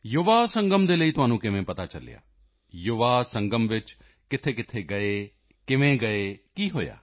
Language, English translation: Punjabi, Where did you go for the Yuva Sangam, how did you go, what happened